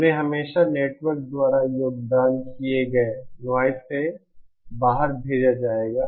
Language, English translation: Hindi, They will be always sent out noise contributed by the network